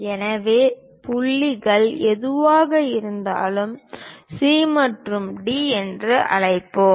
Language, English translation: Tamil, So, whatever the points intersected; let us call C and D